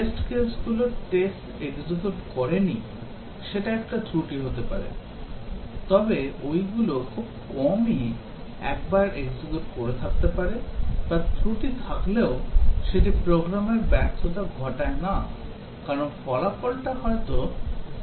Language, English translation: Bengali, Some of the faults may be the test cases did not execute, those are very rarely executed once or may be even though there is a fault still it does not cause a program failure, because still possibly the result is acceptable